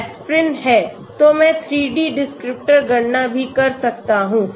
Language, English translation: Hindi, Aspirin is there, so I can do a 3 D descriptor calculation also